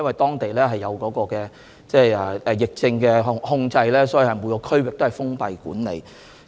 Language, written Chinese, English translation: Cantonese, 當地已實施疫症控制，每個區域實行封閉管理。, Measures to contain the epidemic have been implemented in Hubei and closure measures have been introduced in all districts